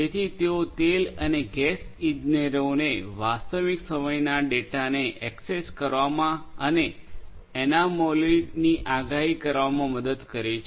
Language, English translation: Gujarati, So, they help the oil and gas engineers to access real time data and predict anomalies